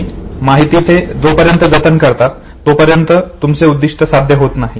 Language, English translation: Marathi, You are maintaining the information till the goal is achieved